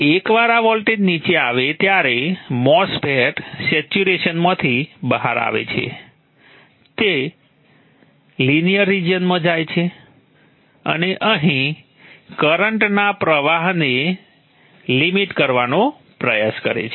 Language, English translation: Gujarati, Once this voltage comes down, MOSFET comes out of saturation goes into the linear region and tries to limit the current flow here